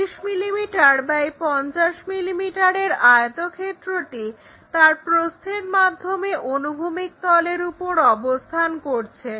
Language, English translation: Bengali, We have a rectangle 30 mm and 50 mm these are the sides, resting on horizontal plane